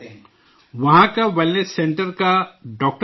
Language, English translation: Urdu, The doctor of the Wellness Center there conveys